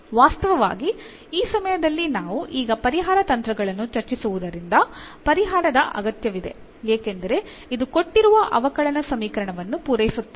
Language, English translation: Kannada, In fact, at this point because we are now going to discuss the solution techniques, this is a needed a solution because this will satisfies the given differential equation